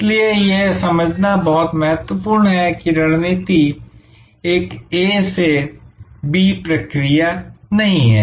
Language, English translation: Hindi, So, therefore, very important to understand that strategy is not a linear A to B process